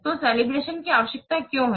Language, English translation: Hindi, So, why calivation is required